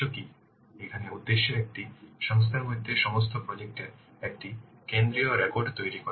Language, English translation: Bengali, So the objective here is to create a central record of all projects within an organization